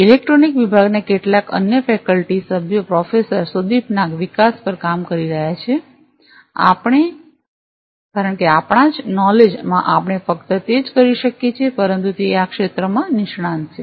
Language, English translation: Gujarati, Some other faculty members from Electronic Department Professor Sudip Nag is working on the development because in our knowledge we could only do it, but he is expert in this field